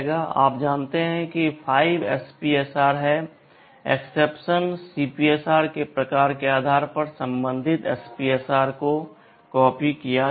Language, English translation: Hindi, You know there are 5 SPSRs depending on the type of exception CPSR will be copied to the corresponding SPSR